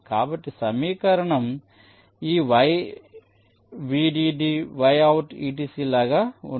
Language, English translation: Telugu, so the equation will be like this: yvdd, y, out, etcetera